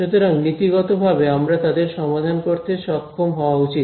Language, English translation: Bengali, So, in principle I should be able to solve them right